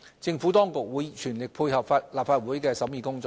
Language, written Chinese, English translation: Cantonese, 政府當局會全力配合立法會的審議工作。, The Administration will cooperate fully with the Legislative Council in its scrutiny work